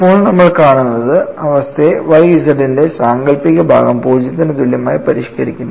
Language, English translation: Malayalam, So, now, what we will see is the condition is modified as imaginary part of Y z equal to 0